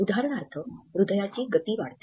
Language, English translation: Marathi, For example, increased rate of heart